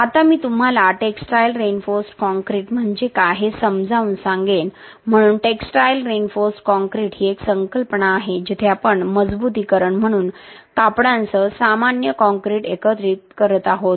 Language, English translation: Marathi, Now I will explain to you what a textile reinforced concrete is, so a textile reinforced concrete is a concept where we are combining a normal concrete with textiles as reinforcement